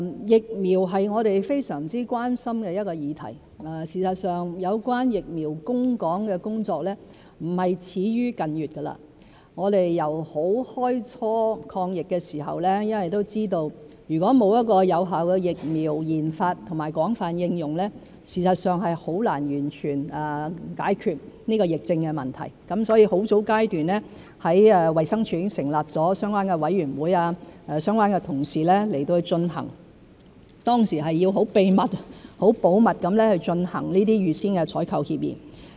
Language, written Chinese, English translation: Cantonese, 疫苗是我們非常關心的議題，事實上，有關疫苗供港的工作並非始於近月，我們由開初抗疫時都知道，如果沒有有效的疫苗研發和廣泛應用，事實上是很難完全解決這個疫症問題，所以在很早階段，衞生署已經成立了相關的委員會，由相關的同事進行有關工作，當時是要很秘密、很保密地進行這些預先採購協議。, As a matter of fact our work to secure vaccines for Hong Kong have not begun just in recent months . At the start of the fight against the epidemic we already knew that without the development and widespread use of effective vaccines it will be very difficult to completely resolve the problem of the epidemic . Therefore at a very early stage the Department of Health has already set up a relevant committee and the colleagues concerned have been undertaking the related work